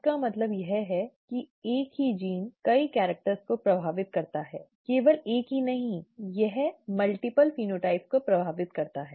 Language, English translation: Hindi, This means that the same gene affects many characters, not just one, it it affects multiple phenotypes